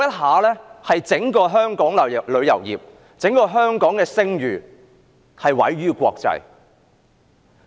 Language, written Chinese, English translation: Cantonese, 在那一陣子，香港整個旅遊業及聲譽毀於國際。, Back then the reputation of the entire tourism industry in Hong Kong was damaged in the international world